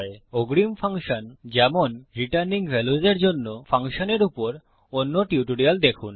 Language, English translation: Bengali, For advanced functions, like returning value, please check the other tutorials on functions